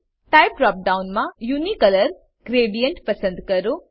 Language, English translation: Gujarati, In the Type drop down, select Unicolor gradient